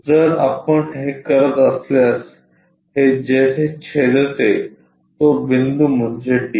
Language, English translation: Marathi, If we are doing that it makes a cut there name that point d